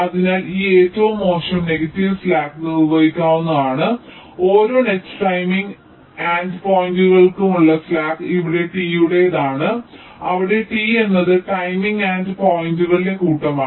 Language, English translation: Malayalam, so this, this worst negative slack, can be defined as the slack for every net timing endpoints: tau, where tau belongs, to t, where t is the set of timing endpoints